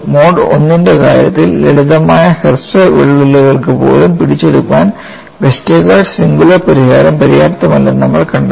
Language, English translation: Malayalam, We will have a different type of story here in the case of mode 1, we found that Westergaard singular solution was not sufficient to capture even for simple short cracks